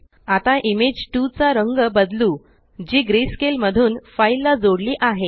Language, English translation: Marathi, Let us change the color of Image 2, which is linked to the file to greyscale